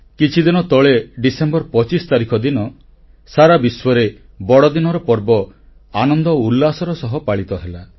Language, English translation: Odia, Over the last few days, the festival of Christmas was celebrated across the world with gaiety and fervor